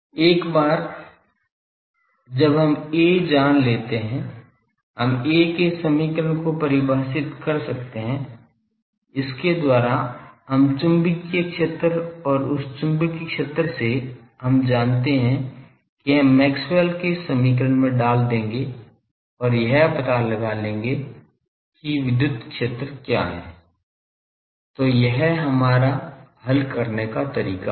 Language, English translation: Hindi, Once we know A, we can go to the defining equation of A; by that we will find the magnetic field and from that magnetic field; we know we will put to the Maxwell’s equation and find out what is the electric field; so this will be our journey